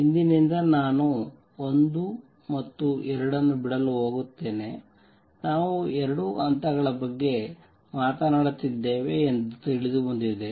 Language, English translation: Kannada, From now on I am going to drop 1 and 2; it is understood that we are talking about two levels